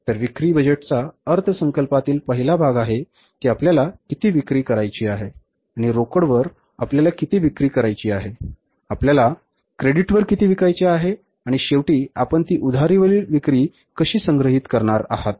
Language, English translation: Marathi, So, sales budget has the first part of the budgeting, that is how much we want to sell and how much we want to sell on cash, how much we want to sell on credit, and finally, how you are going to collect those sales which are sold on credit